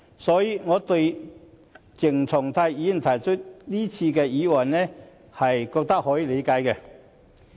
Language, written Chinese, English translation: Cantonese, 所以，對於鄭松泰議員提出這次的議案，我認為可以理解。, As such I can understand why Dr CHENG Chung - tai moves this motion